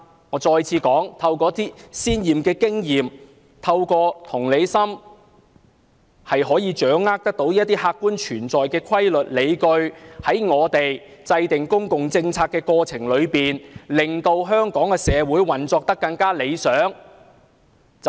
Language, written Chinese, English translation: Cantonese, 我重申，透過一些先前的經驗，透過同理心，我們就能掌握一些客觀的規律和理據，從而在制訂公共政策的過程中令香港社會運作更趨理想。, I would like to reiterate that experience and empathy can help us see the objective rules and justifications in formulating public policies that can help Hong Kong society function better